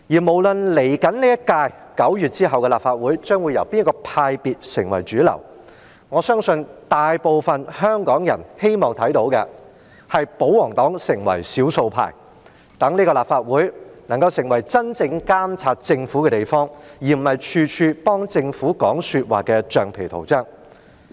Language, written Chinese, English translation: Cantonese, 無論9月之後的下一屆立法會將會由哪個派別成為主流，我相信大部分香港人希望看到的，是保皇黨成為少數派，讓這個立法會能夠作真正監察政府的地方，而不是處處幫政府說話的橡皮圖章。, No matter which camp will become the majority in the next Legislative Council after September I believe what most Hong Kong people wish to see is that the royalists will become the minority thus enabling this Council to really act as a watchdog over the Government rather than a defender of the Government functioning as a rubber stamp